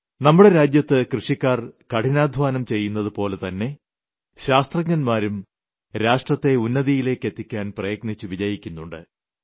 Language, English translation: Malayalam, In our country, like the toiling farmers, our scientists are also achieving success on many fronts to take our country to new heights